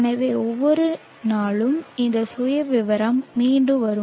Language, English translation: Tamil, So every day this profile will repeat